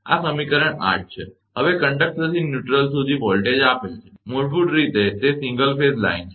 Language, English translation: Gujarati, Now, voltage from conductor to neutral, is given by basically it is single phase line